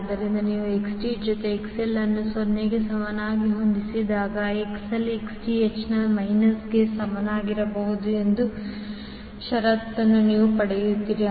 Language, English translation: Kannada, So, when you set Xth plus XL equal to 0, you get the condition that XL should be equal to minus of Xth